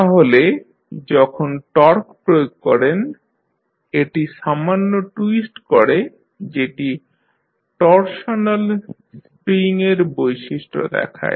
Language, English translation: Bengali, So, when you give torque it twists slightly which give the property of torsional spring